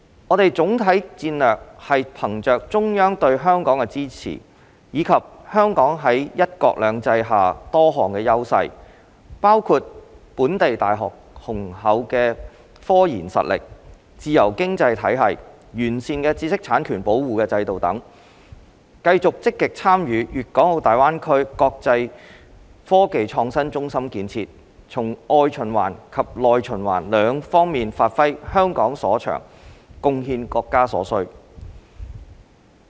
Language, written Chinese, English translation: Cantonese, 我們的總體戰略是憑藉中央對香港的支持，以及香港在"一國兩制"下多項優勢，包括本地大學的雄厚科研實力、自由經濟體系、完善的知識產權保護制度等，繼續積極參與粵港澳大灣區國際科技創新中心建設，從外循環及內循環兩方面發揮香港所長，貢獻國家所需。, All these fully demonstrate the great importance the Central Authorities attach to Hong Kongs IT . Our overall strategy is to capitalize on the support of the Central Authorities for Hong Kong and the various advantages of Hong Kong under one country two systems including the strong research and development RD capabilities of local universities a free economy and a robust intellectual property rights protection regime to continue to actively engage in the development of the international IT hub in the Guangdong - Hong Kong - Macao Greater Bay Area GBA in order to capitalize on what Hong Kong is good at via external circulation and domestic circulation and contribute to what the country needs